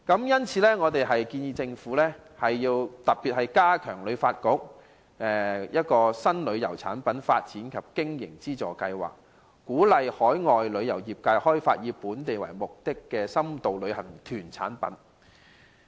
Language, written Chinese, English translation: Cantonese, 因此，我們建議政府加大力度，加強旅發局的"新旅遊產品發展及經費資助計劃"，鼓勵海外旅遊業界開發以香港為目的地的深度旅遊活動。, Therefore we suggest that the Government enhance its efforts to improve the New Tour Product Development Scheme under HKTB and encourage overseas travel agents to develop in - depth tourism activities with Hong Kong as the destination